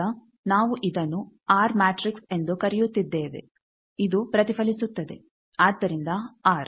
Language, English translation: Kannada, Now this part we are calling it as R matrix this reflect, so r